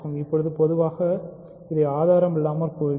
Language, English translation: Tamil, And now, more generally I will say this without proof